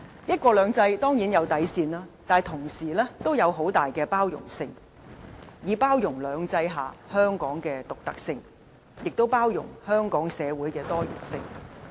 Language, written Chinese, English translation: Cantonese, "一國兩制"當然有底線，但同時亦有很大的包容性，以包容"兩制"下香港的獨特性，亦包容香港社會的多元性。, There is of course a bottom line for one country two systems but there is also tolerance for Hong Kongs uniqueness under two systems and social diversity